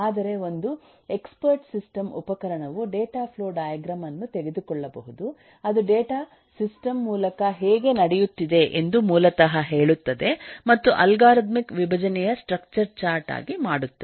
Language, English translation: Kannada, but an expert system tool can take the data flow diagram, which basically says how data is going through the system, and make this structure chart of algorithmic decomposition